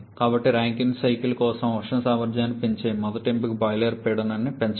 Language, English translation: Telugu, So, the first option of increasing the thermal efficiency for Rankine cycle is to increase the boiler pressure